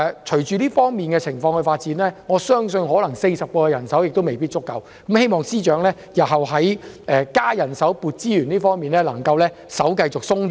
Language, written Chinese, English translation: Cantonese, 隨着情況發展，我相信40人可能未必足夠，希望司長日後在增加人手、增撥資源方面可以較為寬鬆。, As time passes I believe that 40 additional staff may not be enough and I hope that the Secretary will be more generous in increasing the manpower and resources for tackling this problem in the future